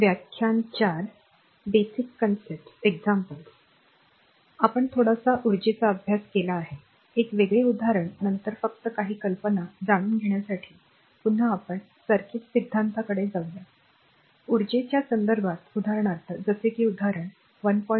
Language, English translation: Marathi, So, we have back again, as we have studied little bit of energy right what our so, one different example then again we will go to the circuit theory just to give you some you know some ideas, regarding energy then I for example, like this is example 1